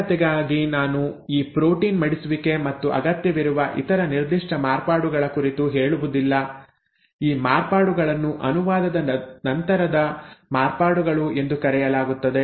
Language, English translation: Kannada, So this is, this protein folding and specific other required modifications, I am not going into them because of simplicity; these modifications are what are called as post translational modifications